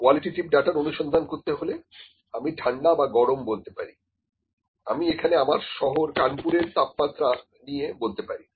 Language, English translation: Bengali, The quantitative data is the exact temperature exploration in the qualitative way I would say I can say is just hot cold if I talk about the temperature of my city Kanpur here